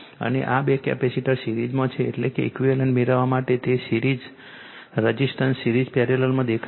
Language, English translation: Gujarati, And these two capacitor are in series means it is equivalent to the view obtain the resistance series in parallel